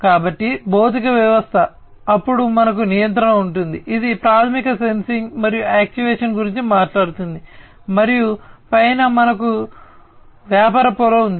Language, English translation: Telugu, So, physical system, then we have the control which is basically talking about sensing and actuation, and on top we have business layer